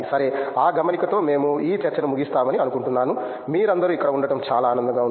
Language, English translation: Telugu, Okay so, on that note I think we will close this discussion it’s been a pleasure to have you all here